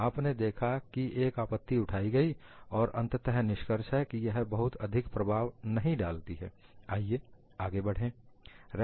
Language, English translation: Hindi, You find that there is an objection raised, and finally, the conclusion is, it is not really affecting much; let us carry forward